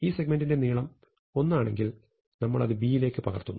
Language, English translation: Malayalam, So, first of all if this segment is of length one, then we just copy the value into B